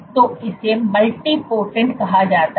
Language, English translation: Hindi, So, this is called a multipotent